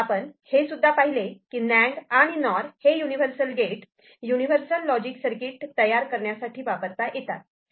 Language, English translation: Marathi, And we also saw that NAND and NOR can be considered for universal logic circuit as a universal gate for different kind of logic circuit generation